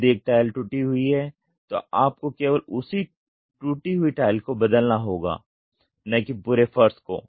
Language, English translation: Hindi, So, if there is one tile broken, you have to replace only that tile and not the entire floor